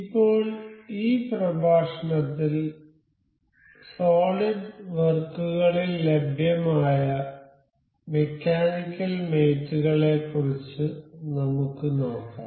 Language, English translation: Malayalam, Now, in this lecture we will go about mechanical mates available in solid works